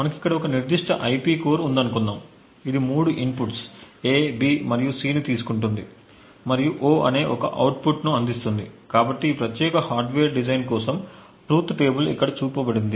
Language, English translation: Telugu, Let us say we have a particular IP core over here, which takes three inputs A, B and C and provides one output of O, so the truth table for this particular hardware design is as shown over here